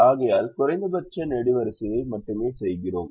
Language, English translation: Tamil, therefore we do only column minimum to do this subtraction